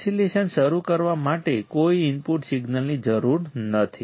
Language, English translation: Gujarati, No input signal is needed to start the oscillation